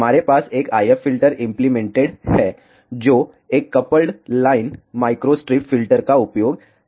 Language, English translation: Hindi, We have an IF filter implemented using a coupled line microstrip filter